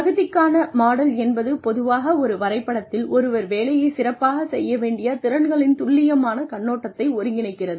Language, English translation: Tamil, Competency model usually consolidates in one diagram, a precise overview of the competencies, that someone would need, to do a job well